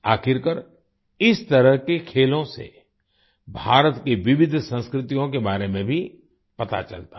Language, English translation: Hindi, After all, through games like these, one comes to know about the diverse cultures of India